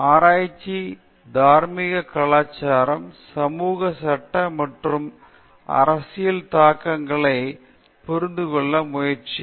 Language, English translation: Tamil, Trying to understand the moral, cultural, social, legal, and political implications of research